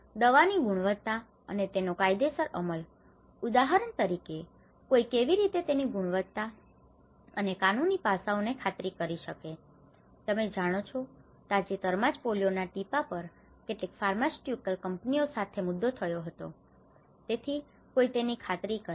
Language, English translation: Gujarati, The quality and legal enforcement of drugs, how one can ensure you know the quality and the legal aspect of how what kind of drugs for instance, recently there was an issue with certain pharmaceutical companies on even the polio drops you know, so one who can ensure it